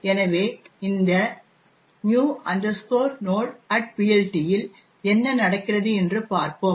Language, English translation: Tamil, So, let us see what actually happens in this new node at PLT